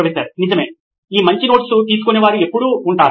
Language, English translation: Telugu, Right, there always these good notes takers